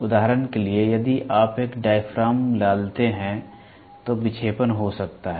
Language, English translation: Hindi, Mechanical for example, if you put a diaphragm there can be a deflection